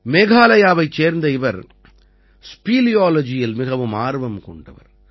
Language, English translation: Tamil, He is a resident of Meghalaya and has a great interest in speleology